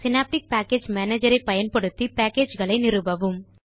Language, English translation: Tamil, Use Synaptic Package Manager to install packages